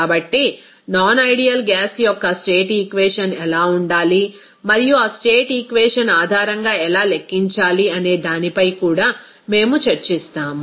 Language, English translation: Telugu, So, there also we will discuss what should be that state equation of that non ideal gas and how to calculate based on that state equation there we will discuss